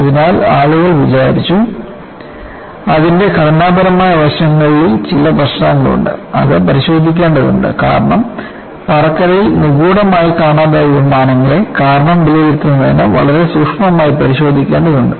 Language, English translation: Malayalam, So, people thought, there are some problems in the structural aspect of it; that needs to be looked at because aircrafts missing mysteriously in flight was to be looked at very closely to assess the reason